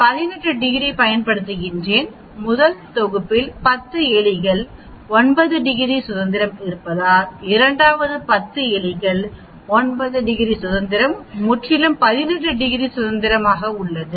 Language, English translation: Tamil, Now t I use 18 degrees of freedom do you understand why because, the first set has a 10 rats 9 degrees freedom, second has 10 rats 9 degrees of freedom totally 18 degrees of freedom